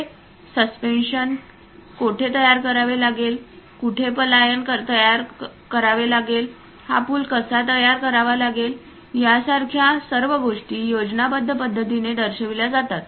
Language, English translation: Marathi, And something like where these suspensions has to be created, where pylon has to be created, the way how this bridge has to be constructed, everything is in a schematic way represented